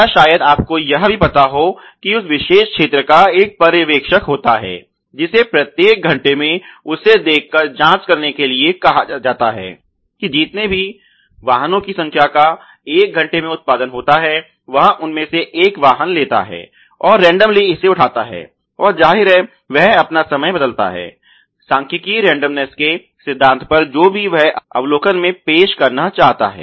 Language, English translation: Hindi, Or maybe even you know you know another case there is a supervisor of that particular zone which has been asked to do this visual check each hour where he after out of whatever number of vehicles are produced in one hour, one of the vehicles, he takes and randomly picks it up and obviously, he varies his time etcetera, on the principle of statistical randomness whatever he wants to introduce in the observation